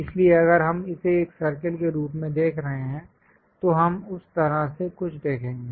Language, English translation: Hindi, So, if we are looking at it a circle, we will see something like in that way